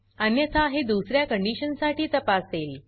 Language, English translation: Marathi, Else it will check for another condition